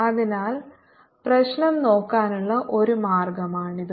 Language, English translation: Malayalam, so this is one way of looking at the problem